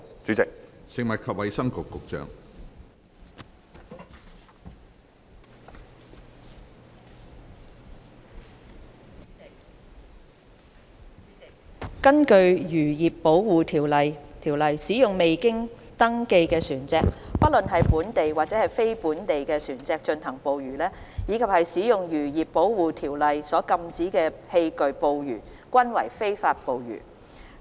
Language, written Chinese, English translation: Cantonese, 主席，根據《漁業保護條例》，使用未經登記的船隻，不論是本地或非本地船隻進行捕魚，以及使用《漁業保護規例》所禁止的器具捕魚均為非法捕魚。, President according to the Fisheries Protection Ordinance the use of unregistered vessels either local or non - local for fishing activities as well as the use of fishing gear prohibited by the Fisheries Protection Regulations are considered as illegal fishing activities